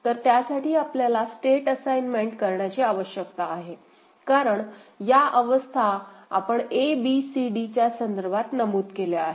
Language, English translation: Marathi, So, for that we need to do a state assignment, because states we have mentioned in terms of a, b, c, d right